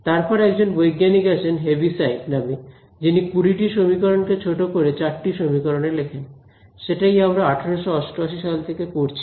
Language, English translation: Bengali, Then there was this scientist by the name of Heaviside who condense these 20 equations finally, into 4 equations which is what we have been studying since 1888 right